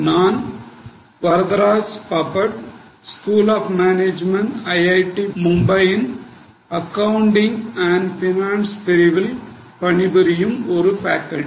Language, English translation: Tamil, Myself Varadraj Bhapad, I am a faculty in accounting and finance in School of Management, IIT Mumbai